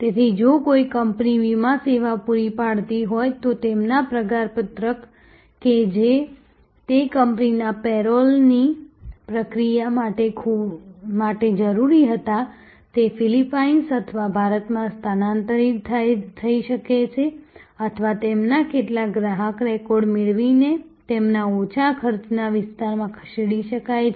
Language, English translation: Gujarati, So, if there was a company providing insurance service, their payroll which was needed processing of the payroll of that company could shift to a location in Philippines or India or some of their customer record archiving could be moved to their lower cost area